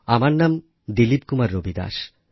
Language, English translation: Bengali, DILIP KUMAR RAVIDAS